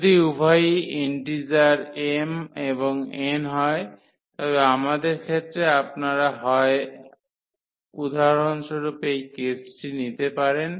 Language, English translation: Bengali, If both are integers m and n both are integers so, in this case we have you can either take this case for example